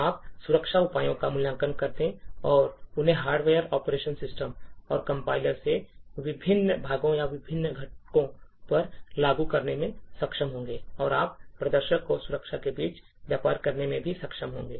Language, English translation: Hindi, You would be able to evaluate security measures and apply them to various parts or various components from the hardware, operating system and the compiler and also you would be able to trade off between the performance and security